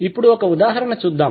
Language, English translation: Telugu, So let's see the example